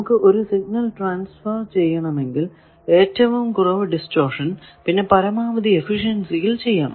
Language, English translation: Malayalam, We want transfer of signal we want to do it with minimum distortion maximum efficiency